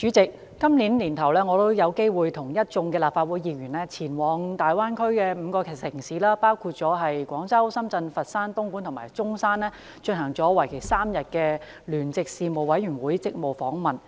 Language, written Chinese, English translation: Cantonese, 代理主席，今年年初，我有機會與一眾立法會議員前往粵港澳大灣區的5個城市，包括廣州、深圳、佛山，東莞及中山，進行為期3天的聯席事務委員會職務訪問。, Deputy President early this year I had the opportunity to visit five cities of the Guangdong - Hong Kong - Macao Greater Bay Area namely Guangzhou Shenzhen Foshan Dongguan and Zhongshan together with other Legislative Council Members in the joint - Panel delegation for a three - day duty visit